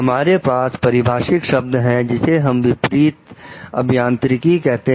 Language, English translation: Hindi, We have a term which is called Reverse Engineering